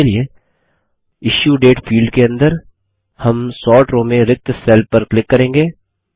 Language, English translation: Hindi, For this, we will click on the empty cell in the Sort row, under the Issuedate field